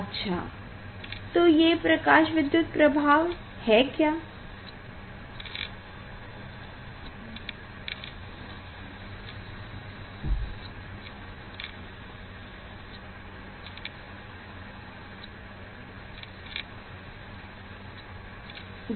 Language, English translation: Hindi, What is photoelectric effect